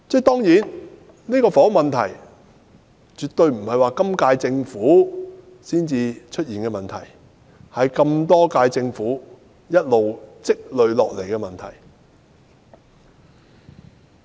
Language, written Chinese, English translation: Cantonese, 當然，房屋問題絕非在今屆政府任期內才出現，而是多屆政府一直累積下來的問題。, Of course the housing problem which is definitely not something new under this Administration has been a persistent problem under previous Administrations